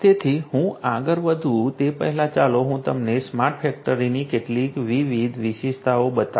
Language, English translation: Gujarati, So, before I proceed let me show you some of the different features of a smart factory